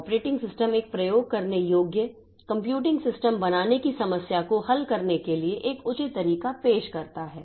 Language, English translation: Hindi, Operating systems exist to offer a reasonable way to solve the problem of creating a usable computing system